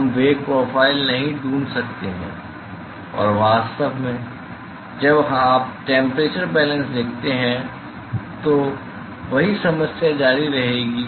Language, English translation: Hindi, We cannot find the velocity profile and in fact, the same issue will continue when you write a temperature balance